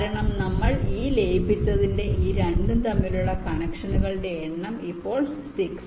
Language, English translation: Malayalam, so the number of connections between these two is now six